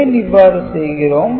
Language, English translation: Tamil, Why are we doing this